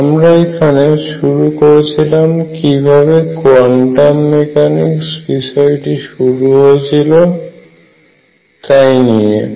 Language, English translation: Bengali, So, we started with how quantum mechanics started